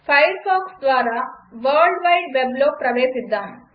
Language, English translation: Telugu, Firefox is used to access world wide web